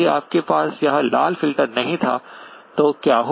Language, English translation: Hindi, If you did not have this red filter, what will happen